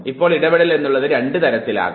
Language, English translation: Malayalam, Now interference could be of two types